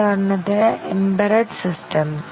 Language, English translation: Malayalam, For example, embedded systems